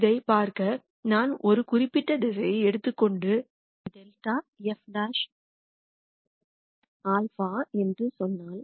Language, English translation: Tamil, To see this if I take a particular direction and then say delta f transpose alpha